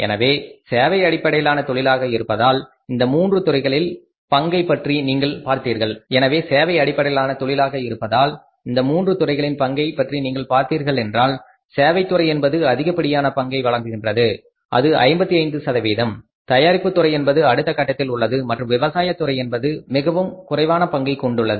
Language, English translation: Tamil, So, because of the service based industry today if you see the contribution of these three sectors, services sector is contributing maximum which is more than 55 percent then is the manufacturing sector and the contribution of the say the agriculture has become lowest